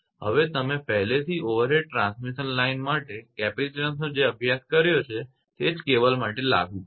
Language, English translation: Gujarati, So, already you have studied the capacitance your what you call for overhead transmission line same is applicable for cable